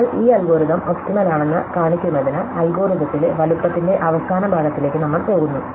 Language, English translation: Malayalam, So, to show that this algorithm is the optimal, we go by induction in the size in the algorithm